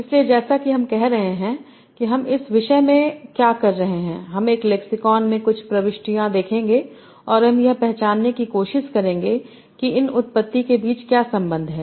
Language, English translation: Hindi, So as I am saying what we are going to do in this topic, we will see some entries in a lexicon and we will try to identify what is relation between these entities